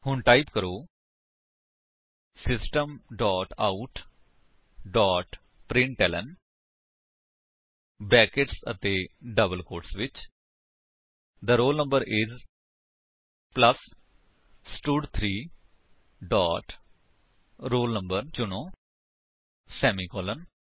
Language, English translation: Punjabi, So, type: System dot out dot println within brackets and double quotes The roll no is plus stud3 dot select roll no semicolon